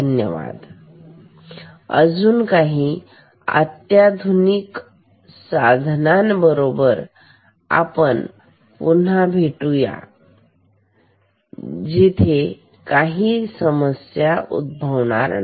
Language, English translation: Marathi, Thank you, let us meet again with more sophisticated instruments, where this problem will not be there